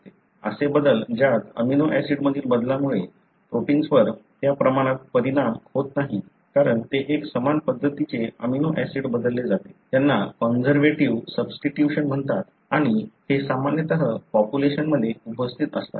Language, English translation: Marathi, So, such changes wherein the change in the amino acid does not affect the protein to that extent, because it is very similar amino acid being replaced, are called as conservative substitution and these are normally present in the population